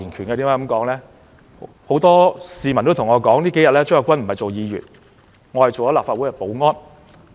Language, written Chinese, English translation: Cantonese, 原因是很多市民說我這幾天不是當議員，而是做了立法會保安員。, Because many people said that I was not doing the job of a Member but that of a Legislative Council security guard during these few days